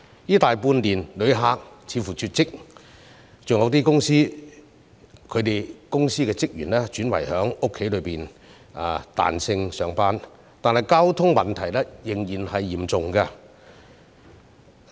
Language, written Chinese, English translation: Cantonese, 這大半年來旅客似乎絕跡，有些公司的職員亦轉為在家工作或彈性上班，但交通擠塞問題仍然嚴重。, In the past six months tourists seemed to have disappeared . Some employees have switched to work from home or work flexibly . However the problem of traffic congestion is still serious